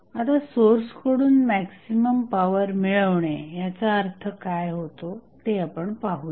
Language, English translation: Marathi, Now, let us see what is the meaning of drawing maximum power from the source